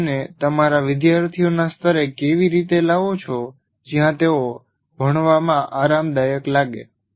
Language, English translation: Gujarati, How do you make it, bring it down at a level to the level of your students where they feel comfortable in learning